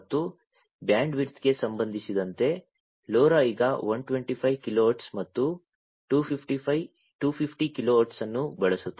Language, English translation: Kannada, And in terms of bandwidth, LoRa uses 125 kilohertz and 250 kilohertz